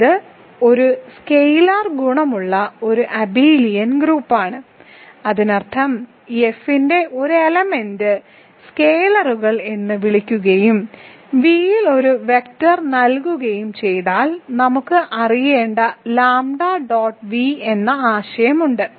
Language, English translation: Malayalam, So, it is an abelian group which has a scalar multiplication, that means given an element of F which are called scalars and given a vector in V we need to know have the notion of lambda dot V